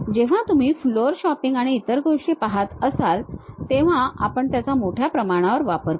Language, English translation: Marathi, When you are really looking at floor shopping and other things, we will extensively use that